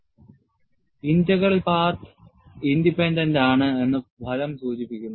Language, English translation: Malayalam, The result also indicates that J Integral is path independent